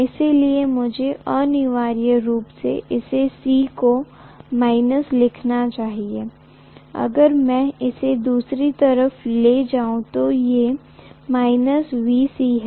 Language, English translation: Hindi, So I should essentially write this as this is C, so, let me take this on the other side, this is VC